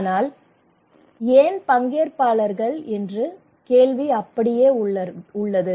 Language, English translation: Tamil, But the question remains in question of participations that why people participate